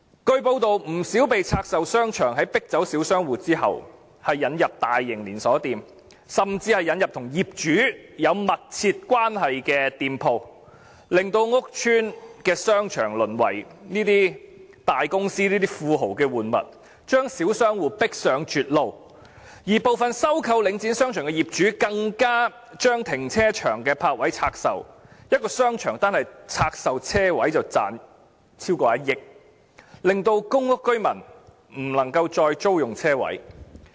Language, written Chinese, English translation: Cantonese, 據報道，不少被拆售的商場在迫走小商戶後引入大型連鎖店，甚至引入與業主有密切關係的店鋪，令屋邨的商場淪為這些大公司、這些富豪的玩物，將小商戶迫上絕路，而部分收購領展商場的業主更將停車場的泊位拆售，一個商場單是拆售車位便賺取超過1億元，令公屋民居不能夠再租用車位。, It is reported that in many of the divested shopping arcades after the small shop tenants were driven away large - scale chain stores and even shops closely related to the owner were brought in . Shopping arcades of public housing estates have hence degenerated into the playthings of these large corporations and moguls while the small shop tenants are driven to a dead end . Some owners who acquired shopping arcades of Link REIT have even divested the parking spaces of the car parks